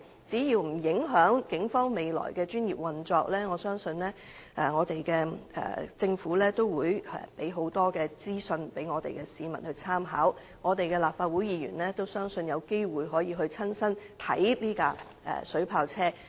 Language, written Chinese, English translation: Cantonese, 只要不影響警方的專業運作，我相信政府定會提供大量資訊讓市民參考，我亦相信立法會議員會有機會親身視察這輛水炮車。, As long as the professional operation of the Police is not affected I believe that the Government will definitely provide a lot of information for public reference . I also believe that Legislative Council Members will have the opportunity to inspect the water cannon vehicles in person